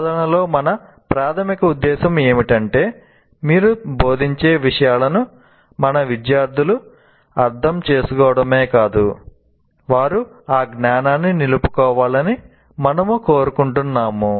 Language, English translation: Telugu, The whole, our major purpose in instruction is we not only want our students to make sense of what you are instructing, but we want them to retain that particular knowledge